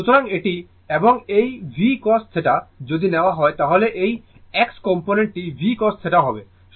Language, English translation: Bengali, So, this is this one, and this v cos theta if you take this is x component is v cos theta